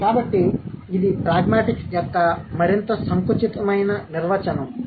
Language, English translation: Telugu, So, this is a more narrowed down definition of pragmatics